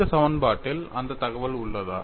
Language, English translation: Tamil, Is that information contained in this equation